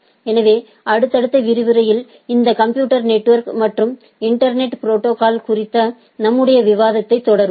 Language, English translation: Tamil, So, we will continue our discussion on this computer network and internet protocols in the subsequent lecture